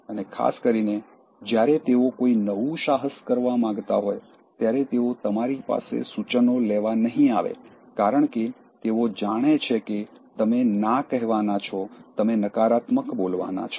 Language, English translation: Gujarati, And especially, when they want to start a new endeavor, they would not come to you asking for suggestions, because they know that you are going to say no, you are going to be negative